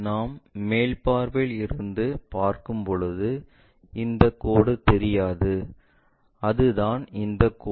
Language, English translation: Tamil, This line is not visible when we are looking from top view and that is this line